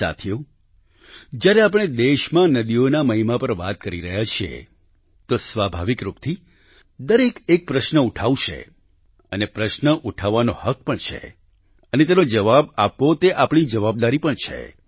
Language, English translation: Gujarati, now that we are discussing the significance of rivers in our country, it is but natural for everyone to raise a question…one, in fact, has the right to do so…and answering that question is our responsibility too